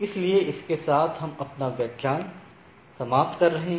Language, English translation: Hindi, So, with this let us conclude our lecture